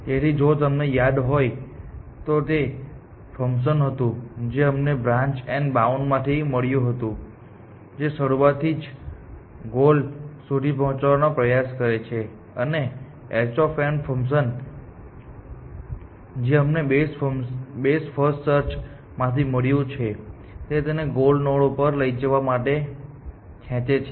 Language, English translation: Gujarati, So, if you remember g n was the function which we sort of inherited from branch and bound which tries to keep it as close to the goal as to the start at possible, and h n is the function we have inherited from best first search which tries to pull it towards the goal node essentially